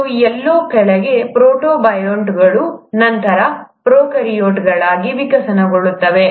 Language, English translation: Kannada, And somewhere down the line, the protobionts would have then evolved into prokaryotes